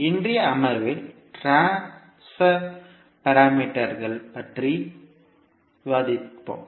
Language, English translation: Tamil, So in today’s session we will discuss about transmission parameters